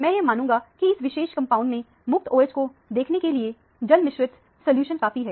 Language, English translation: Hindi, I would presume that, this is a fairly dilute solution to be able to see the free OH in this particular compound